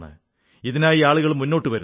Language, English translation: Malayalam, And people do come forward for the same